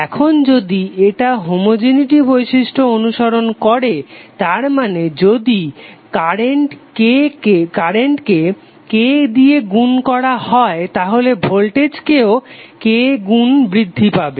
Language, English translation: Bengali, Now if it is following the homogeneity property it means that if current is increased by constant K, then voltage also be increased by constant K